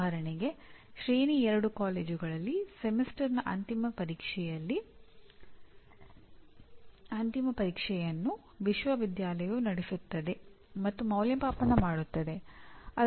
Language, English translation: Kannada, For example in tier 2 college Semester End Examination is conducted and evaluated by the university